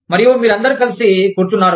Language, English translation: Telugu, And, you are sitting together